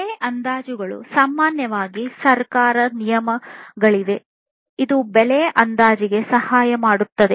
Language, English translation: Kannada, Price estimations, there are government regulations typically, which will help in this price estimation